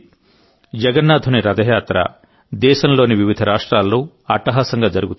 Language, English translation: Telugu, Lord Jagannath's Rath Yatra is taken out with great fanfare in different states of the country